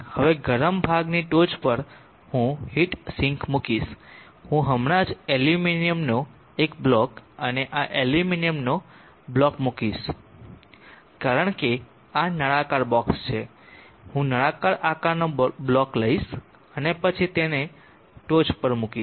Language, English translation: Gujarati, Now on top of the hot portion I will place a heat sink, I will just place a block of aluminum and this block of aluminum, because this is a cylindrical box, I will take a cylindrical shape block and then place it on top of this aluminum like this